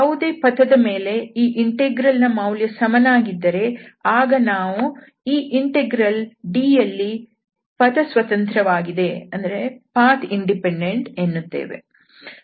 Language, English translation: Kannada, So, if any part we take along any path if this integral is same, then we call that this integral is Path Independent in D